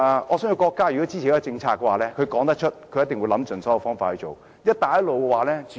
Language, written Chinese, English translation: Cantonese, 我相信如果國家支持一項政策的話，它一定會想盡所有方法進行。, I think if the nation is in support of a policy it will implement it by all means